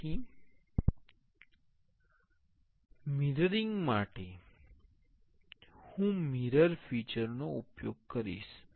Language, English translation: Gujarati, So, for mirroring, I will use the mirror feature